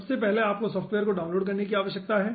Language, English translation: Hindi, first you need to download the software